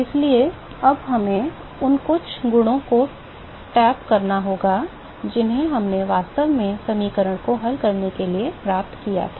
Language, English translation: Hindi, So, we have to now tap on some of the properties that we actually derived without solving the equation